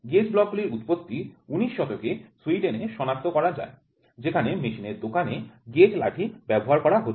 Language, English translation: Bengali, The origin of gauge blocks can be traced to 18th century in Sweden where gauge sticks were found to be used in the machine shop